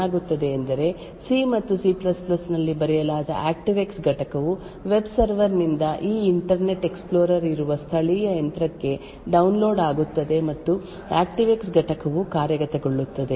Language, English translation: Kannada, Now if the user clicks on this and the user says that the ActiveX component can run then what would happen is that the ActiveX component which is written in C and C++ would be downloaded from the web server into this local machine where this Internet Explorer is present and that ActiveX component will execute